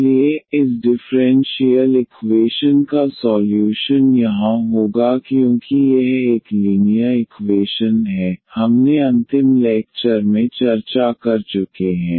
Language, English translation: Hindi, So, the solution of this differential equation here will be because it is a linear equation, we have already discussed in the last lecture